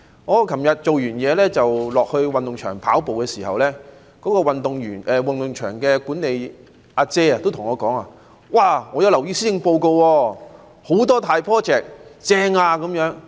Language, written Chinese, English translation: Cantonese, 我昨天下班後到運動場跑步，運動場的管理員也跟我說："我留意到施政報告有很多大 project， 正呀！, When I went for a run after work at a sports ground yesterday a venue staff said to me I find that there are many huge projects in the Policy Address . What a great plan!